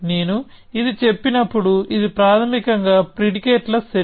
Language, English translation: Telugu, When I say this, it is basically a set of predicates, okay